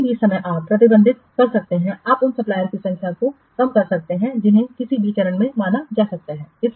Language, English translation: Hindi, At any time you can restrict, you can reduce the number of suppliers which are being considered any stage